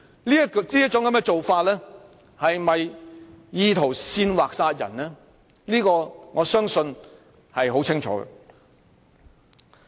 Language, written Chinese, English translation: Cantonese, 他的言論是否意圖煽惑他人殺人，我相信是很清楚的。, I believe the answer to the very question of whether he intended to incite anyone to kill others through his words was crystal clear